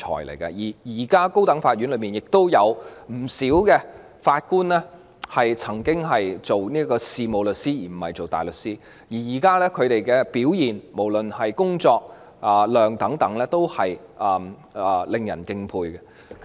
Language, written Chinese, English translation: Cantonese, 現時不少高等法院法官亦曾經是事務律師，而不是大律師，他們現在的表現，無論是所肩負的工作量等，都是令人敬佩的。, At present many serving Judges of the High Court have practised as solicitors instead of barristers and their current performance no matter in terms of the workload they shoulder etc is respectable